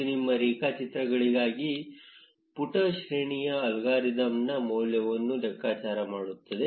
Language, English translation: Kannada, This will compute the values of the page rank algorithm for your graphs